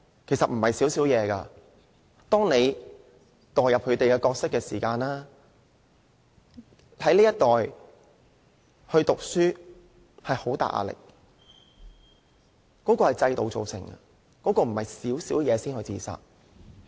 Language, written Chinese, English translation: Cantonese, 其實並非"小小事"，當你代入他們的角色，便明白這一代人讀書有很大壓力，這是制度造成的，並非"小小事"便自殺。, The matters are actually not trivial . If you are in their shoes you will understand the immense education pressure they have been subject to . This is caused by the system and they do not commit suicide for trivial matters